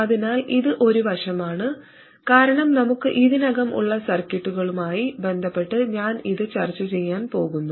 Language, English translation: Malayalam, So this is just an aside because I am going to discuss this with respect to the circuits that we already have